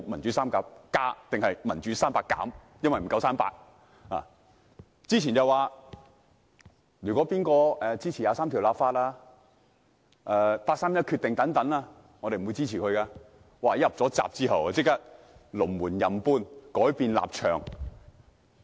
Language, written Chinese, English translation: Cantonese, 在選舉前，他們表示誰支持《基本法》第二十三條立法和八三一決定便不會予以支持，但入閘後便即時隨意搬動龍門，改變立場。, Before the nomination members of the opposition camp said whoever supported the enactment of legislation for Article 23 of the Basic Law and the 31 August Decision would not receive their support . However after the candidates got nominated they arbitrarily moved the goalposts and changed their stance